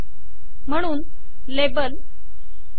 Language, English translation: Marathi, So label fruits